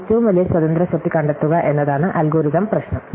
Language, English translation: Malayalam, So, the algorithmic problem is to find the largest independent set